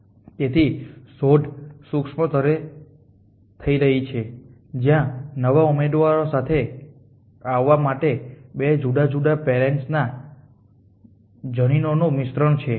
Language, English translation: Gujarati, So, the such is happening at a micro level the mixing of gens from 2 different parents to come off with new candidates